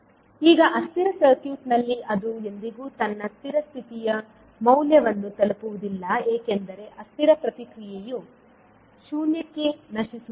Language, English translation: Kannada, Now in unstable circuit it will never reach to its steady state value because the transient response does not decay to zero